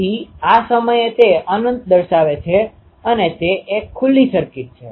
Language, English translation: Gujarati, So, at this point it is having an infinite it is an open circuit